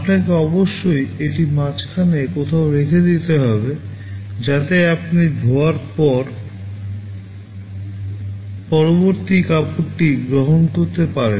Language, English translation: Bengali, You must keep it somewhere in between, so that you can accept the next cloth for washing